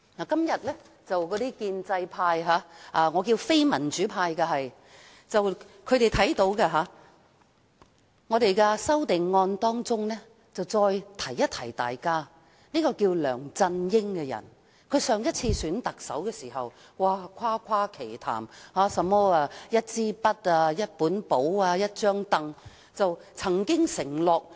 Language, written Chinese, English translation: Cantonese, 今天，建制派都注意到，我們在修正案中再次提醒大家，梁振英在上次特首選舉時誇誇其談，提到"一支筆、一本簿、一張櫈"，也曾作出承諾。, Today as the pro - establishment camp has also noticed our refreshed reminder to Members through the amendments that LEUNG Chun - ying had indulged in talks about a pen a notebook and a stool and made a pledge in the last Chief Executive Election